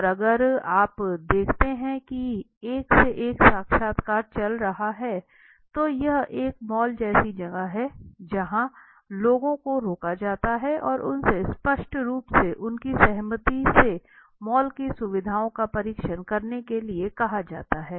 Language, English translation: Hindi, And if you see one to one interview is going on here there is like this a mall kind of place where people are stopped and they are asked obviously with their consent to test he facilities in the mall